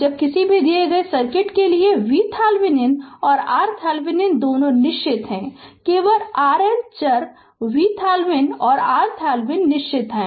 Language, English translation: Hindi, Now, for a given circuit that V Thevenin and R Thevenin both are fixed right, only R L is variable V Thevenin and R Thevenin is fixed